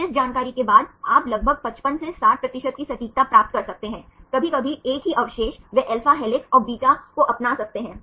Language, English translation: Hindi, Then after this information this you can get achieve an accuracy of about 55 to 60 percent, sometimes same residues they can adopt alpha helixes and beta sheets right